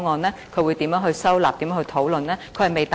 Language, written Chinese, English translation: Cantonese, 政府會如何收納和討論這個方案？, How is the Government going to incorporate and discuss this proposal?